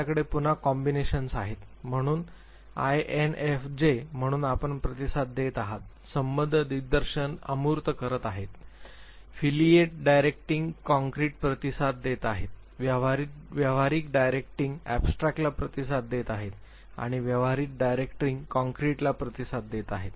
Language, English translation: Marathi, You have again the combinations, so INFJ, so you are responding, affiliate directing abstract, responding affiliate directing concrete, responding pragmatic directing abstract, and responding pragmatic directing concrete